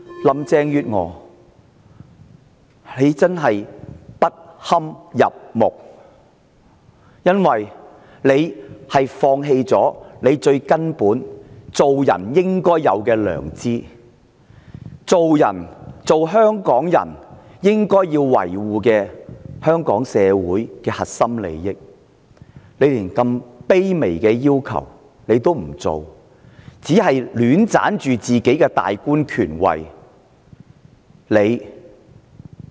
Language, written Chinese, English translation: Cantonese, 林鄭月娥真的不堪入目，因為她放棄身為人最根本應有的良知，放棄身為香港人應要維護的香港社會核心利益，她連這麼卑微的要求也不做，只是戀棧自己的大官權位。, She has abandoned her conscience the basic element as a human being . She has abandoned the core interests of Hong Kong society something that a Hongkonger should defend . She cannot even accomplish such a humble request and cares only about her authority as the top official